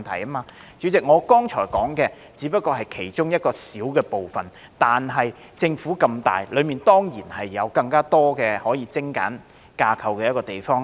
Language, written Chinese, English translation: Cantonese, 代理主席，我剛才提到的只不過是其中一個小部分，但政府這麼大，內部當然有更多可以精簡架構之處。, Deputy President what I have just mentioned is only a small part of what can be done and there is certainly much more room for streamlining the internal structure of the Government since it is so big